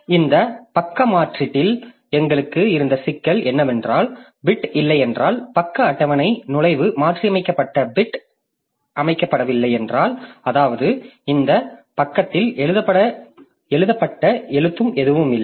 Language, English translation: Tamil, So, the problem that we had with this page replacement is that if the bit is not more, if the page table entry the modified bit is not set, that means the there is no right that has been done onto this page